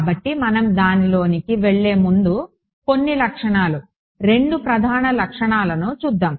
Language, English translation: Telugu, So, before we go into that let us look at some of the properties 2 main properties